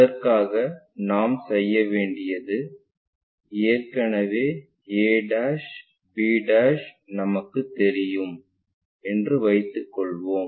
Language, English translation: Tamil, For that what we have to do, let us assume we know already a' b'